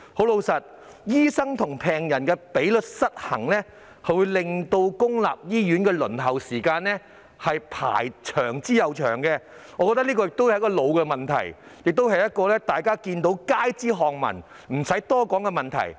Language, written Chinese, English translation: Cantonese, 老實說，醫生與病人的比例失衡，會令公立醫院的輪候時間越來越長，我覺得這是一個老問題，亦是街知巷聞、不用多說的問題。, To be honest the imbalance in the doctor - to - patient ratio will lead to ever - increasing waiting time in public hospitals . I reckon this is a long - standing problem which is well known to the public and needs no further elaboration